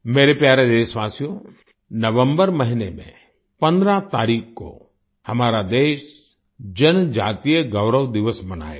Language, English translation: Hindi, My dear countrymen, on the 15th of November, our country will celebrate the Janjateeya Gaurav Diwas